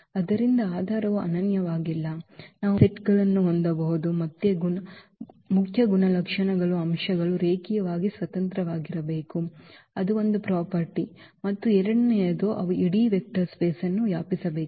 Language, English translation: Kannada, So, basis are not unique we can have a different sets, the main properties are the elements must be linearly independent that is one property and the second one should be that they should span the whole vector space